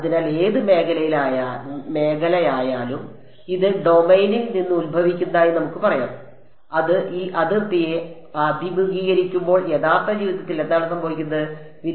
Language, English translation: Malayalam, So, whatever field is let us say emanating from this domain when it encounters this boundary what should happen in real life